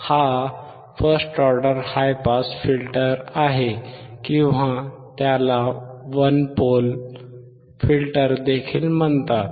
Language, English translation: Marathi, This is first order high pass filter or it is also called one pole filter